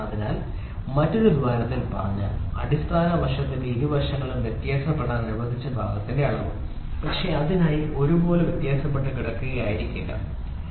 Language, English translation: Malayalam, So, in other words the dimension of the part it allowed to vary on both sides of the basic side, but may not be necessarily equally dispersed about dispersed about that for, ok